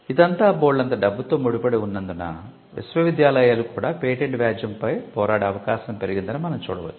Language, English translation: Telugu, Now, we can see that because of the stakes involved universities are also likely to fight patent litigation